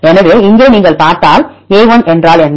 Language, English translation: Tamil, So, here if you see a; what is a1